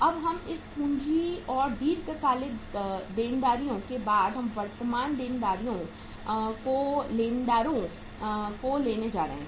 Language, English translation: Hindi, We are now going to have after this capital and long term liabilities we are going to take the now the current liabilities sundry creditors